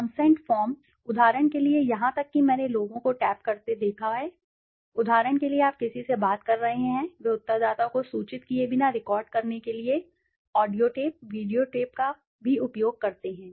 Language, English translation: Hindi, Consent forms, for example, even I have seen people taping, for example, you are speaking to somebody, they also use audio tapes, video tapes to record without informing the respondent